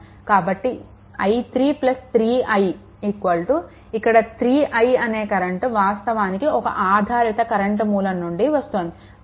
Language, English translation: Telugu, So, i 3 plus 3 I is equal to this I actually here it is a dependent your what you call dependent current source right